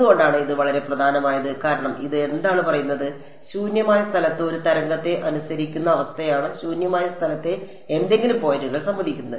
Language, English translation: Malayalam, And why is this sort of very important is because, what is it saying this is the condition obeyed by a wave in free space any points in free space agree